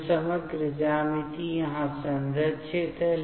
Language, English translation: Hindi, So, the overall geometry preserved here